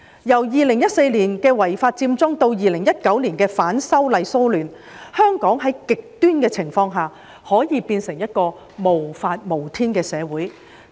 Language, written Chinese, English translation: Cantonese, 由2014年的違法佔中至2019年的反修例騷亂，香港在極端情況下可以變成一個無法無天的社會。, As seen from the unlawful Occupy Central movement in 2014 and then the riots of opposition to the proposed legislative amendments in 2019 Hong Kong could become a lawless society under extreme circumstances